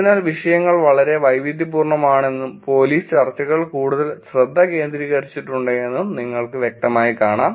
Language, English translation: Malayalam, So, you can clearly see the topics have been very diverse and the police discussions are much more focused